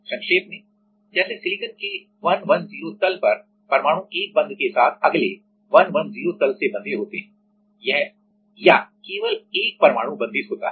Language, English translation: Hindi, In summary, like the atoms on the 110 plane of silicon are bonded to the next 110 plane with 1 bond or only 1atom is bonded